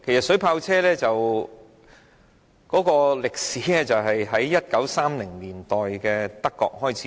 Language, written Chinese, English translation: Cantonese, 水炮車是在1930年代於德國開始使用。, Germany started to use water cannon vehicles in the 1930s